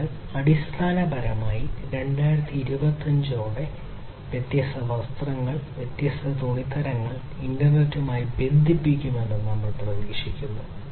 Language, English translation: Malayalam, So, basically by 2025, it is expected that we will have the different clothing, the different fabrics, etc connected to the internet